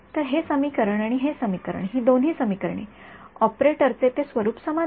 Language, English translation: Marathi, So, this equation and this equation both of these equations, that form of the operator is the same right